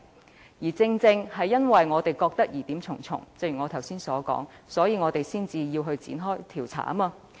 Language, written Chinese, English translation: Cantonese, 正如我剛才所說，正因我們認為疑點重重，所以才要展開調查。, As I said earlier it is exactly because there are so many doubtful points that an investigation is needed